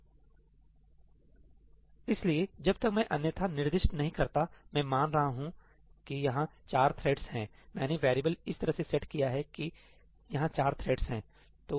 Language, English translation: Hindi, So, unless I specify otherwise , throughout I am assuming that the number of threads is four that I have set the variable so that the number of threads is 4